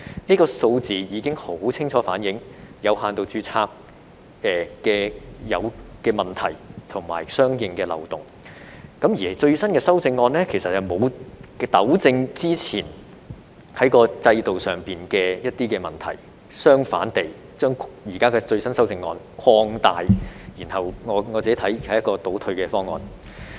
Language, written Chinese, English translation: Cantonese, 這些數字已經十分清楚反映有限度註冊制度的問題及相關漏洞，而最新的修正案其實沒有糾正之前制度上的一些問題，相反地更把它們擴大，我認為是一項倒退的方案。, The figures have clearly reflected the problems and loopholes of the limited registration regime . Instead of rectifying the existing problems with the regime the latest legislative amendments actually expand them . I find the proposal regressive